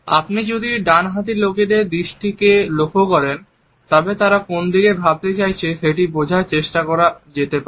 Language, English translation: Bengali, If you look at the direction of the gaze in right handed people, we can try to make out in which direction they want to think